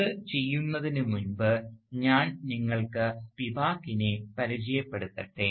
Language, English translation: Malayalam, But before we do that, let me introduce Spivak to you